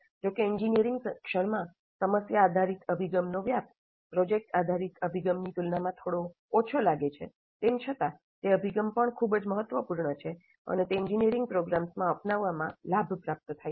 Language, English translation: Gujarati, Though the prevalence of problem based approach in engineering education seems to be somewhat less compared to product based approach, still that approach is also very important and it is gaining in its adoption in engineering programs